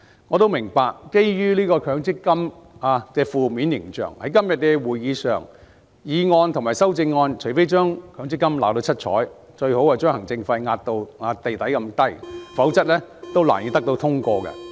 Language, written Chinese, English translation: Cantonese, 我也明白，基於強積金的負面形象，在今天的會議上，除非議案及修正案將強積金"鬧到七彩"，最好把行政費壓至極低，否則難以獲得通過。, I also understand that given the negative image of MPF it is difficult to pass the motion at todays meeting unless MPF is fiercely dressed down by the motion and the amendments and it is best to keep the administration fees to an extremely low level